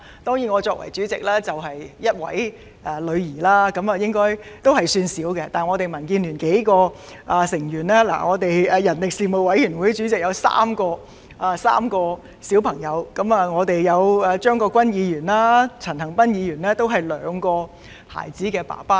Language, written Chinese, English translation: Cantonese, 當然，我作為主席，卻只育有1名女兒，應該算少了，但民建聯有數名成員，包括人力事務委員會主席，他有3名小孩，而張國鈞議員和陳恒鑌議員也是兩個孩子的父親。, As its Chairman I have only one daughter which should be considered a small number of course . Yet several members of DAB including―the Chairman of the Panel on Manpower Committee who has three children while both Mr CHEUNG Kwok - kwan and Mr CHAN Han - pan are fathers of two children